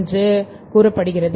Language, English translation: Tamil, I'm going to be